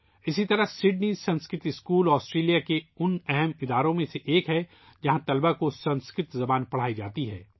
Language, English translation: Urdu, Likewise,Sydney Sanskrit School is one of Australia's premier institutions, where Sanskrit language is taught to the students